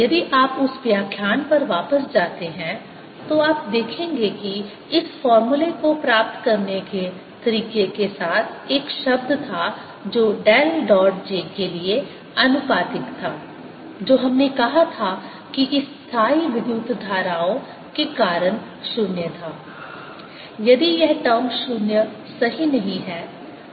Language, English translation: Hindi, if you go back to that lecture you will notice that in deriving this formula along the way there was a term which was proportional to del dot j, which we said was zero because of this steady current